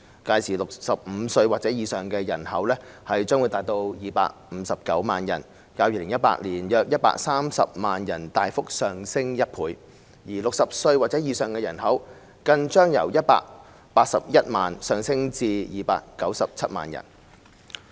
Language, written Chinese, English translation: Cantonese, 屆時 ，65 歲或以上的人口將達259萬人，較2018年的約130萬人大幅上升1倍 ；60 歲或以上的人口更將由181萬人上升至297萬人。, By that time the number of people aged 65 or above in the population will reach 2.59 million representing a substantial increase of 100 % over the number of around 1.3 million in 2018 and the population aged 60 or above will even increase from 1.81 million to 2.97 million